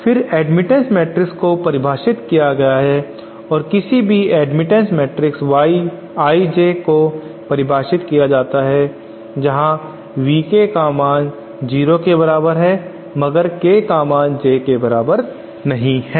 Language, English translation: Hindi, Then admittance matrix is defined as and any admittance parameter Y I J is defined as where V K is equal to 0, k not equal to J